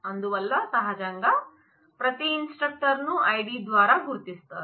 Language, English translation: Telugu, So, naturally every instructor is identified by id every student is identified by id